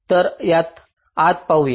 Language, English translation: Marathi, so let us look into this